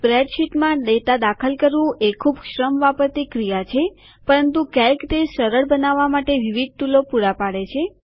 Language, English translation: Gujarati, Entering data into a spreadsheet can be very labor intensive, but Calc provides several tools for making it considerably easier